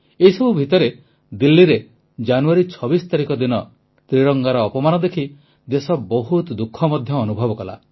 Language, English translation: Odia, Amidst all this, the country was saddened by the insult to the Tricolor on the 26th of January in Delhi